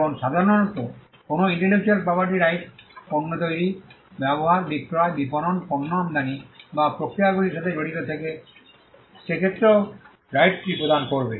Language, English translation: Bengali, Now, normally an intellectual property right will confer the right with regard to making, using, selling, marketing, importing the product or in case the processes involved it will cover that as well